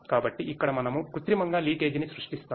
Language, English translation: Telugu, So, here we artificially create leakage